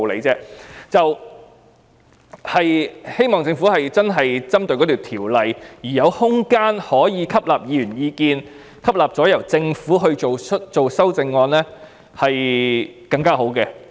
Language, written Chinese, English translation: Cantonese, 我希望政府真的是針對法案，並有空間可吸納議員意見，最後由政府提出修正案，這樣做效果會更好。, I hope that the Government will really focus on bills and take on board Members suggestions before moving amendments